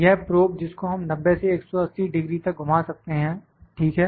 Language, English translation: Hindi, This is the probe; this is the probe we can rotate it to 90 180 degree, ok